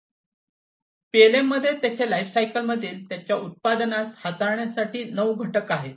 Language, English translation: Marathi, So, there are nine components in PLM to handle a product across its lifecycle